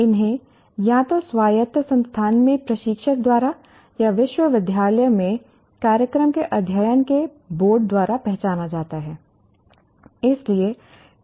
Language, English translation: Hindi, These are either identified by the instructor in autonomous institution or by the Board of Studies of the program in a university